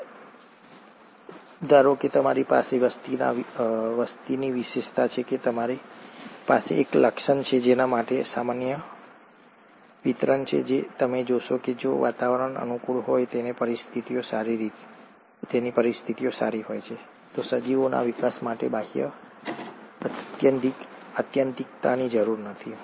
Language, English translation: Gujarati, So, assume that you do have a population trait, you have a trait for which there is a normal distribution and you find that if the environment is conducive and the conditions are fine, there’s no need for the outer extreme of the organisms to grow